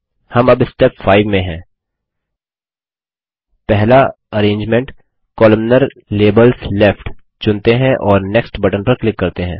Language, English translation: Hindi, Let us choose the first arrangement Columnar – Labels Left and click on the Next button